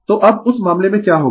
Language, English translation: Hindi, So, now, in that case what will happen